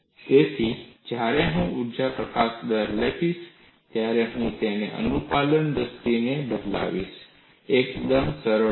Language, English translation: Gujarati, So, when I write energy release rate, I would replace this in terms of the compliance; fairly simple